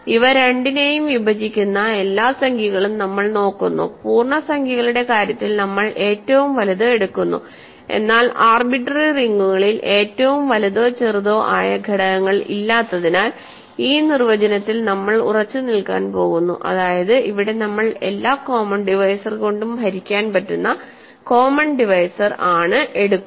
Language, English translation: Malayalam, We look at all numbers that divide both of them and we take the largest one in the case of integers, but because there is no largest or smallest elements in arbitrary rings, we are going to stick to this definition where we want the common divisor to be divisible by every other common divisor